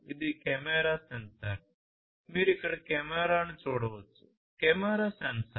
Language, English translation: Telugu, This is a camera sensor you can see the camera over here, Camera sensor